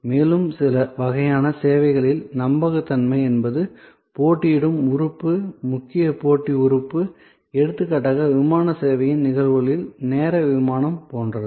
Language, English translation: Tamil, Then in some other kinds of services dependability can be the competitive element, key competitive element like for example, on time flight in cases of airlines service